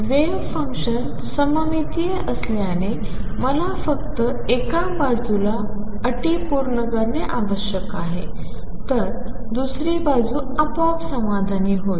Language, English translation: Marathi, Since the wave function is symmetric I need to satisfy conditions only on one side the other side will be automatically satisfied